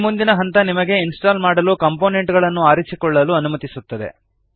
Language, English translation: Kannada, This next step allows you to choose components to install